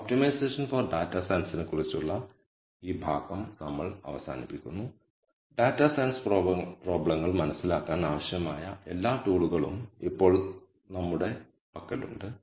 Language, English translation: Malayalam, So, with this we conclude this portion on optimization for data science now we have all the tools that we need to understand data science problems